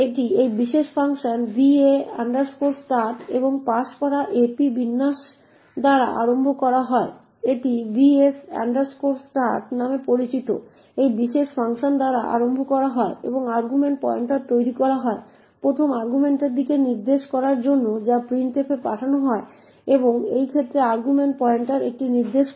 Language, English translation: Bengali, It is initialised by this particular function va start and passed ap and format, it is initialised by this particular function known as va start and argument pointer is made to point to the first argument that is sent to printf in this case argument pointer is pointing to a